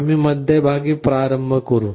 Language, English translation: Marathi, You start with the middle